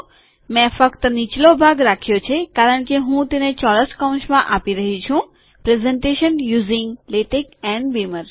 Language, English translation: Gujarati, I have put only the bottom portion because thats what Im giving within the square bracket – presentation using latex and beamer